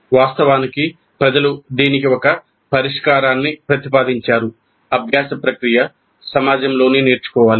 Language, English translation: Telugu, Because people have proposed a solution to this also that learning process should occur within a community of learners